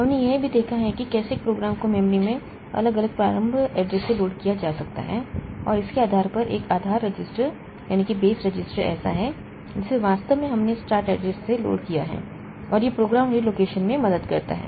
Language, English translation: Hindi, We have also seen how a program may be loaded from different start address in the memory and based on that one base register is there so which actually were loaded with the start address and that helps in program relocation